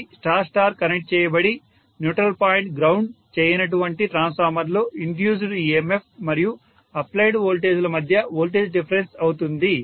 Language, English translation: Telugu, That is going to be voltage difference between the induced emf and the applied the voltage in a transformer which is Star Star connected whose neutral point is not grounded and currently it is on no load condition